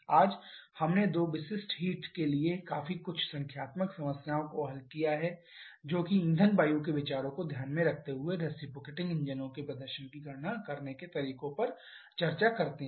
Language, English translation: Hindi, Today we have solved quite a few numerical problems for two specific heats to discuss that way of calculating the performance of reciprocating engines taking into consideration the fuel air considerations